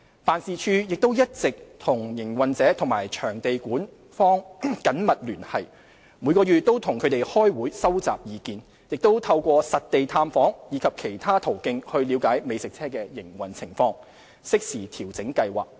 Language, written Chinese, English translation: Cantonese, 辦事處亦一直與營運者及場地管方緊密聯繫，每月與他們開會收集意見，亦透過實地探訪及其他途徑了解美食車的營運情況，適時調整計劃。, The office has maintained close contact with the operators and venue management . Regular monthly meetings are held to collect their opinions . We also conduct site visits and utilize different channels to understand food trucks operating condition with a view to making timely refinements to the Scheme